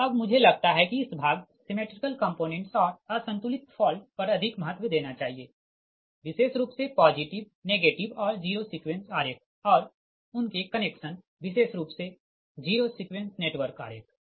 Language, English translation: Hindi, so that part i, i thought i give more importance on symmetrical component and unbalanced fault right, particularly that positive, negative and zero sequence diagram and their connection, particularly the zero sequence network diagram